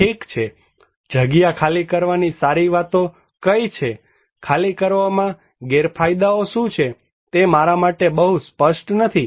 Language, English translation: Gujarati, well, what are the merits of evacuation, what are the demerits of evacuation is not very clear to me